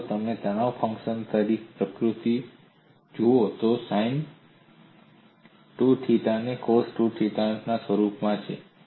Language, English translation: Gujarati, And if you look at the nature of the stress function, it is in the form of sin 2 theta and cos 2 theta